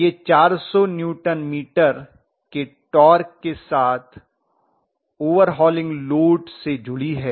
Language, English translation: Hindi, So there is an over hauling torque of 400 Newton meter okay